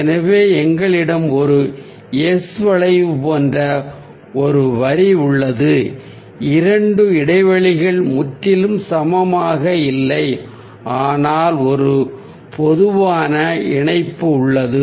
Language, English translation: Tamil, so we have a line which is like a s curve, two spaces which are not totally equal, but there's a common connection